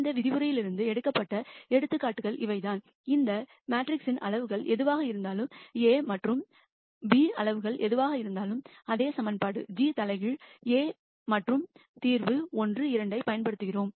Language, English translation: Tamil, These are the examples that were picked from this lecture itself and we show that irrespective of whatever be the sizes of this matrices a and b, we use the same equation g inverse A and the solution 1 2 that we got in one example and the solution minus 0